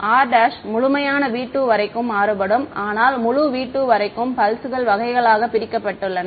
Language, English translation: Tamil, r prime is varying over the entire v 2, but entire v 2, were split up into pulses